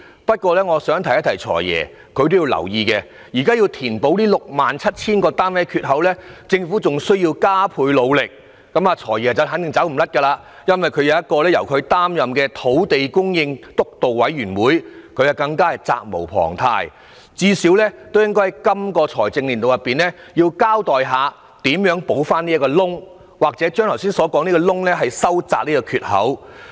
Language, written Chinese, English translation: Cantonese, 但是，我想請"財爺"留意，如果想填補這 67,000 個單位的缺口，政府便仍需加倍努力，"財爺"肯定也有責任，因為他擔任土地供應督導委員會主席，最低限度也應該在這個財政年度，交代如何填補缺口，或是如何把缺口收窄。, However may I ask the Financial Secretary to note that if he wants to fill the gap of the 67 000 units the Government has to work even harder . The Financial Secretary surely bears the responsibility because he chairs the Steering Committee on Land Supply . He should at least explain in this financial year how he will fill or narrow the gap